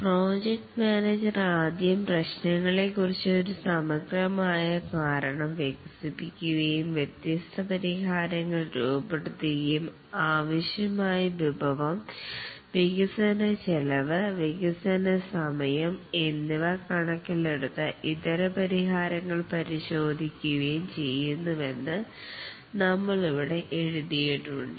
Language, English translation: Malayalam, That's what we have just written down here that the project manager first develops an overall understanding of the problem, formulates the different solution strategies, and examines the alternate solutions in terms of the resource required cost of development and development time, and forms a cost benefit analysis